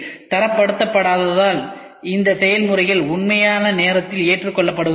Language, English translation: Tamil, Because of the non standardization these processes are not very much accepted in real time